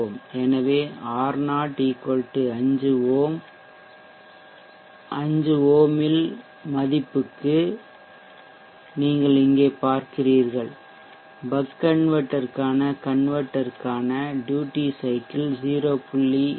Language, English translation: Tamil, So you see here for the value of r0 5 ohms, the duty converter for the bug converter is 0